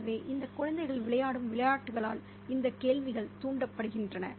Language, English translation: Tamil, So these questions are provoked by the games that these children play